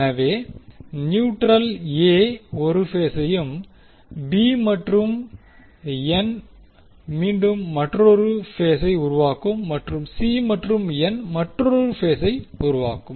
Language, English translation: Tamil, So, neutral and A will create 1 phase B and N will again create another phase and C and N will create, create another phase